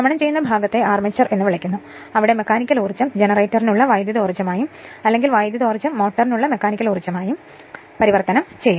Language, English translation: Malayalam, And rotating part it is called the armature right, where mechanical energy is converted into electrical energy for generator or conversely electrical energy into mechanical energy for motor